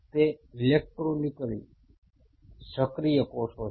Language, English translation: Gujarati, It is a electrically active cells